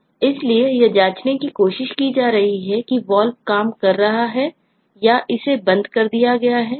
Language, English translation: Hindi, so it is trying to check if the valve at all is working or it has been closed down